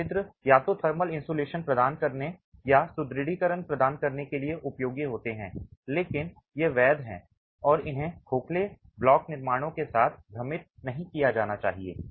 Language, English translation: Hindi, These perforations are useful either for providing thermal insulation or for providing reinforcements but these are perforations and they should not be confused with hollow block constructions